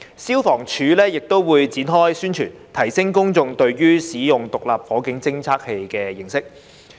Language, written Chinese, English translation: Cantonese, 消防處亦會展開宣傳，提升公眾對使用獨立火警偵測器的認識。, FSD would also launch promotional activities to enhance public awareness of the use of SFDs